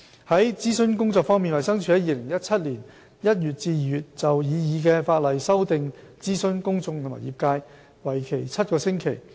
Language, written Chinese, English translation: Cantonese, 在諮詢工作方面，衞生署在2017年1月至2月就擬議的法例修訂諮詢公眾和業界，為期7個星期。, In respect of consultation DH has consulted the public and the trade on the proposed legislative amendments for seven weeks between January and February 2017